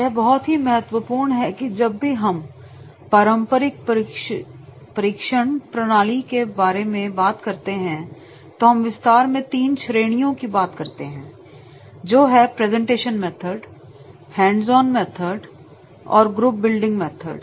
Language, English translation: Hindi, It is very, very important that whenever we are talking about the traditional training methods, the in the traditional training methods are the organized into three broad categories, presentation methods, hands on methods and group building methods